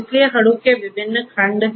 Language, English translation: Hindi, So, there are different building blocks of Hadoop